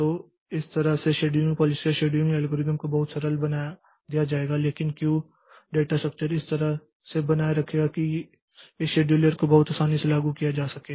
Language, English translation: Hindi, So, this way the scheduling policy or scheduling algorithm will be made very simple but the Q data structure will maintain in such a fashion that this scheduler can be implemented very easily